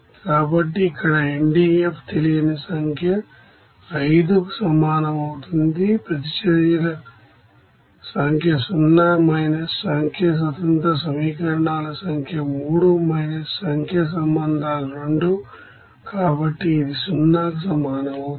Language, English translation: Telugu, So here NDF would be equals to number of unknown is 5, number of reactions is 0 minus number of independent equations is 3 minus number of relations is 2, so it will be equals to 0